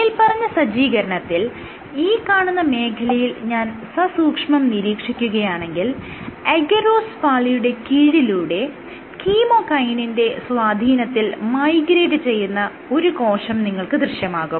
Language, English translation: Malayalam, So, in this setup, so if I zoom in this zone then what you have is a cell which is migrating under a layer of agarose and under the influence of a chemokine